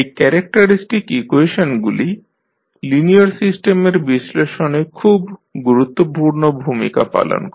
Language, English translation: Bengali, So, the characteristic equations play an important role in the study of linear systems